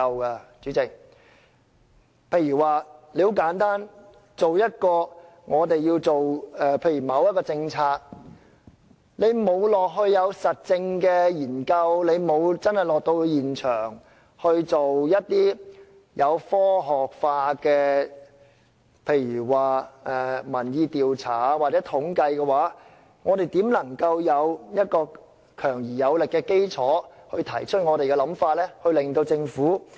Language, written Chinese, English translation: Cantonese, 代理主席，很簡單，例如我們要提出一項政策，如果我們沒有到過現場進行實證研究和科學化的民意調查或統計，我們怎會有強而有力的基礎提出我們的想法，從而說服政府？, Deputy Chairman my point is very simple . For instance if we wish to propose a policy but we have not conducted any on - site empirical studies and scientific public opinion polls or surveys how can we propose our ideas with a strong and solid foundation thereby convincing the Government?